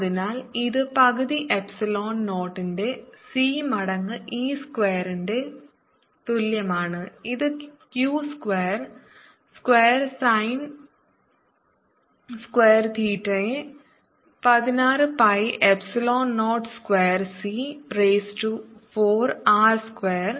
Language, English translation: Malayalam, so this is equal to one half of epsilon zero c times e square, which is two square a square, sin square theta divided by sixteen pi epsilon zero square c raise to four r square